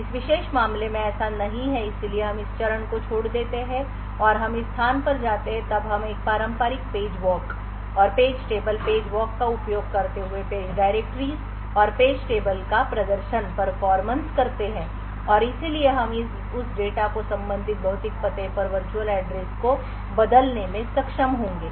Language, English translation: Hindi, In this particular case it is no so we skip this steps and we go to this place then we perform a traditional page walk and page table, page walk using the page directories and page tables and therefore we will be able to convert the virtual address of that data to the corresponding physical address